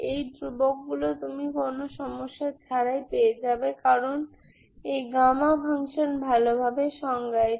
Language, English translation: Bengali, Those constants you will get it without a problem because this gamma function is well defined